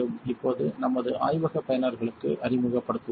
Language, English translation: Tamil, Now, let us introduce to our lab users